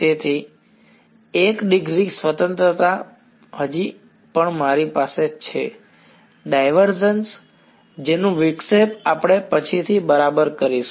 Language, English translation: Gujarati, So, 1 degree of freedom is still there with me the divergence which we will sort of exploit later on ok